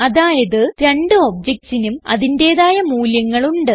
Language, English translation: Malayalam, This means that the two objects have unique values